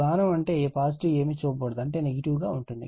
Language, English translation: Telugu, This arrow means positive nothing is shown means negative right